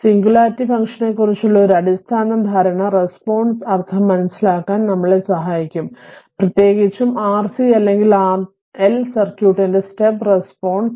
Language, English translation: Malayalam, So, a basic understanding of the singularity function will help us to make sense of the response specially the step response of RC or RL circuit right